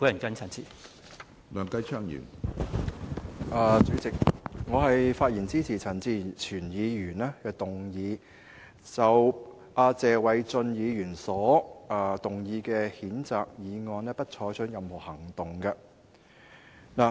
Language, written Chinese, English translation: Cantonese, 主席，我發言支持陳志全議員提出"不得就謝偉俊議員動議的譴責議案再採取任何行動"的議案。, President I speak in support of Mr CHAN Chi - chuens motion that no further action shall be taken on the censure motion moved by Mr Paul TSE